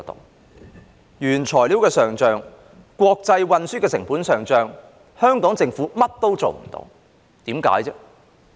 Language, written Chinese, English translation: Cantonese, 面對原材料的上漲、國際運輸成本的上漲，香港政府甚麼也做不了，為甚麼？, In the face of the rising costs of raw materials and international transport there is nothing the Hong Kong Government can do . Why?